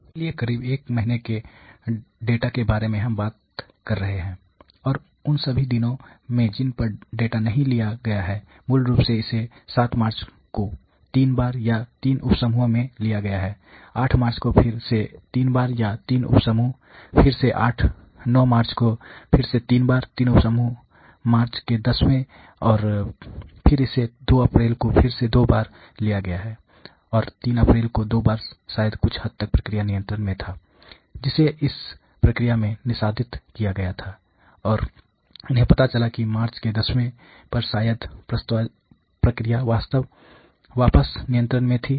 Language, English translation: Hindi, So, its near about one month data that we are talking about, and there are you know not all days on which the data has been taken, basically it has been taken on 7th of March 3 times or 3 sub groups again 8th of March 3 times or 3 sub groups again 9th of March again 3 times 3 sub groups similarly 10th of March and then it has been taken on the 2nd of April again 2 times, and 3rd of April 2 times to probably there was some degree of control of the process, which was executed in this process and they found out that on third on tenth of March probably the process was back to control